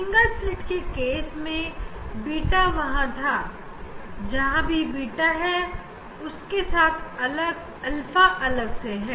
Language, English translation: Hindi, in case of single slit the beta was there, here also beta is there additionally alpha is there